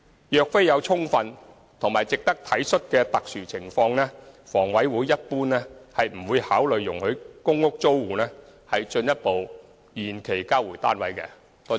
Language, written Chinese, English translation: Cantonese, 若非有充分及值得體恤的特殊情況，房委會一般不會考慮容許公屋租戶進一步延期交回單位。, Unless there are special circumstances with sufficient grounds for sympathetic considerations HA normally would not consider allowing PRH tenants to further postpone the return of their units